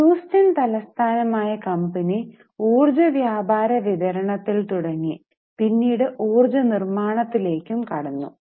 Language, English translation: Malayalam, It was based in Houston mainly into energy trading and distribution and they had also started energy manufacturing